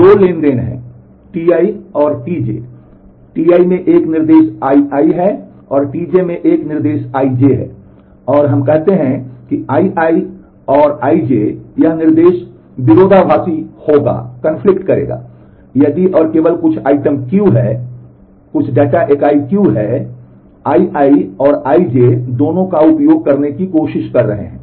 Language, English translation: Hindi, So, there are 2 transactions T i and T j, T i has an instruction I I, T j has an instruction I j and we say that I and I j this instruction will conflict, if and only if there is some item Q, that is some data entity Q; which both I i and I j are trying to access